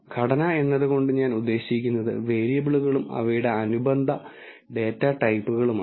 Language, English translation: Malayalam, By structure I mean the variables and their corresponding data types